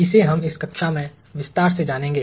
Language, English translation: Hindi, We will learn that in detail in this class